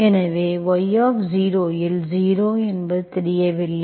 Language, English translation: Tamil, So where y at 0 is not known, okay